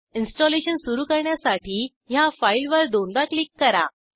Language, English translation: Marathi, Double click on this file to start the installation